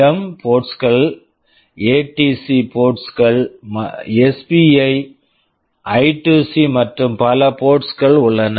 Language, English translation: Tamil, Here also you have Port B, Port A, PWM ports, ADC ports, SPI, I2C and so many ports are there